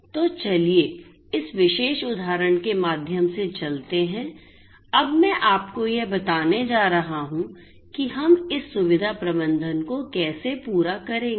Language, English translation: Hindi, So, let us run through this particular example, I am going to now show you step wise how we are going to how we are going to have this facility management right